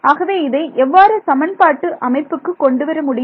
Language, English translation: Tamil, So, how does that translate into a system of equations